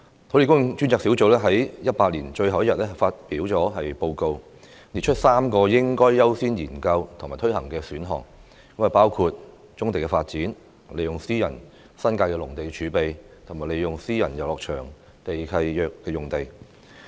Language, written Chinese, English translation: Cantonese, 土地供應專責小組在2018年最後一天發表報告，列出3個應該優先研究及推行的選項：包括棕地發展、利用私人新界農地儲備、利用私人遊樂場地契約的用地。, The Task Force on Land Supply published a report on the last day of 2018 listing three options worthy of priority studies and implementation namely developing brownfield sites tapping into private agricultural land reserve in the New Territories and using sites under private recreational leases